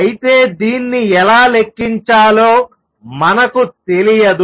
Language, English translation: Telugu, However, we do not know how to calculate it